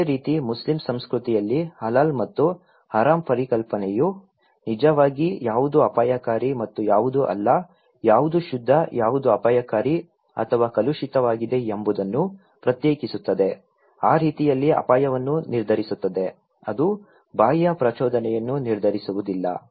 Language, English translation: Kannada, Similarly, in Muslim culture also, the concept of Halal and Haram actually distinguish what is risky to it and what is not, what is pure, what is dangerous or polluted okay so, risk according to that way, itís not the external stimulus that determined but risk is basically, culturally constructed, we are culturally biased